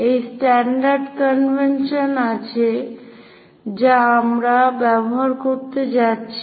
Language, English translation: Bengali, There is this standard convention what we are going to use